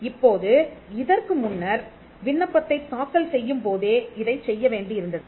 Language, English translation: Tamil, Now, this earlier, it had to be done along with filing the application